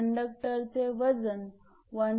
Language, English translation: Marathi, Weight of the conductor is 1